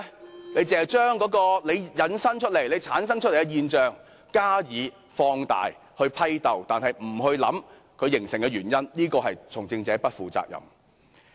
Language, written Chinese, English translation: Cantonese, 然而，當局只將問題引申或產生的現象加以放大、批鬥，卻不思考形成現象的原因，這是從政者不負責任。, Regrettably the authorities have resorted to exaggerating and condemning the phenomena arisen or resulted from the problems rather than pondering upon the causes . This is being irresponsible on the part of politicians